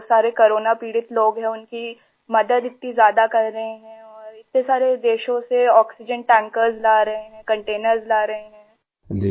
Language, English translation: Hindi, Feel very proud that he is doing all this important work, helping so many people suffering from corona and bringing oxygen tankers and containers from so many countries